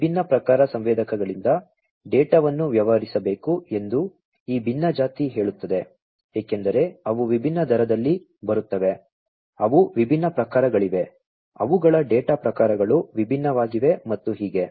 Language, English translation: Kannada, So, you know this heterogeneous say data from these different types of sensors will have to be dealt with, because they come in different rates, they are of different types their data types are different and so on